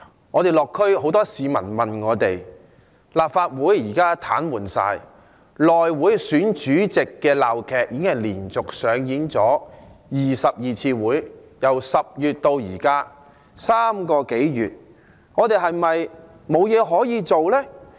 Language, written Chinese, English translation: Cantonese, 我在落區時，有很多市民問我，立法會現時全面癱瘓，內會選主席的鬧劇，已經連續在12次會議中上演，由10月至今3個多月，我們是否沒有任何方法可處理呢？, During my neighbourhood visits many people asked me about the Legislative Council which is now coming to a complete paralysis and whether we have any measure to deal with the farce relating to the election of Chairman of the House Committee that has been staged in 12 meetings in a row for over three months from October last year till now